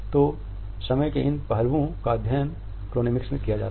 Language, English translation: Hindi, So, these aspects of time would be studied in Chronemics